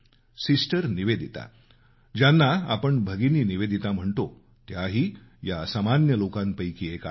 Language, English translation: Marathi, Sister Nivedita, whom we also know as Bhagini Nivedita, was one such extraordinary person